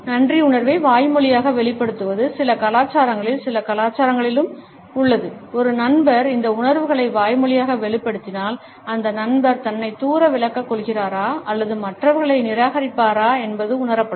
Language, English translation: Tamil, Expressing gratitude verbally may seem formal and impersonal in certain cultures and in certain cultures if a friend expresses these feelings in a verbal manner, it would be perceived as if the friend is either distancing himself or is rejecting the other people